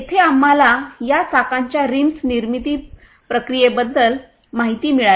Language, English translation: Marathi, Here we come to know about the manufacturing process of these wheel rims